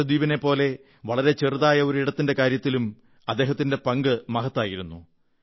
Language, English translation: Malayalam, He played a far more significant role, when it came to a small region such as Lakshadweep too